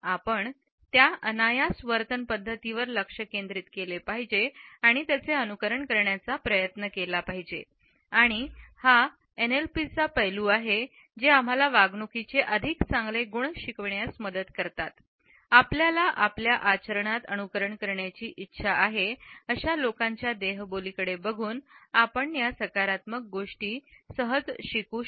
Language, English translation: Marathi, We should focus on these unconscious behavioural patterns and try to emulate them and it is this aspect of NLP which helps us to learn more positive traits of behaviour as well as body language by looking at those people who we want to emulate in our behaviour